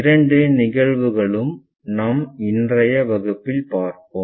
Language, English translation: Tamil, Both the cases we will try to look at that in our today's class